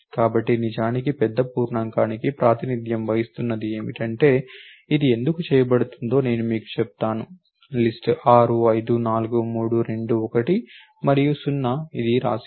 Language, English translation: Telugu, So, actually what is represented in the big int is, I will tell you why it is being done list 6 5 4 3 2 1 and 0 it written text